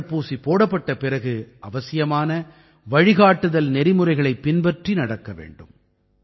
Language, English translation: Tamil, Even after getting vaccinated, the necessary protocol has to be followed